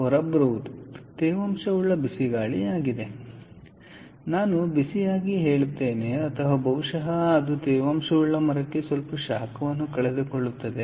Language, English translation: Kannada, so what comes out is is a moist hot air, i would say hot, or probably it also loses some heat to the moist timber, so it will be warm, warm air